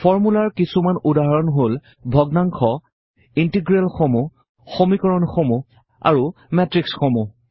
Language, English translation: Assamese, Some examples of formulae are fractions, integrals, equations and matrices